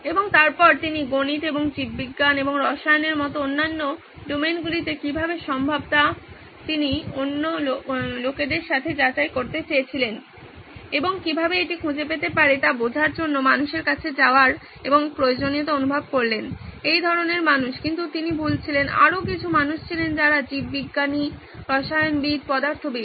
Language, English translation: Bengali, And then he felt the need for going and checking with people as to how to how does this fair in other domains like mathematics and biology and chemistry and all this he wanted to check with other people and this is a prison I mean how could he find such people, but he was wrong, there were other people who were biologist, chemist, physicist